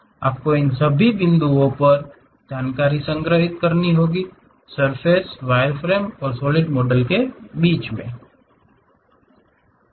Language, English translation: Hindi, You have to store information at all these points, surface is in between wireframe and solid models